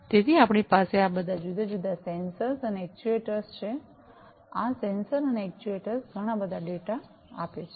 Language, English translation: Gujarati, So, we have all these different sensors and actuators, these sensors and actuators throw in lot of data